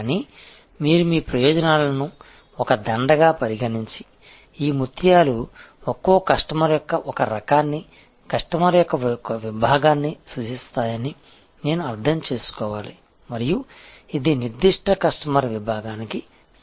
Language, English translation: Telugu, But I must say that you can consider your benefits as a garland and understand, that each of these pearls represent one type of customer, one segment of customer and this is a matched offering to that particular customer segment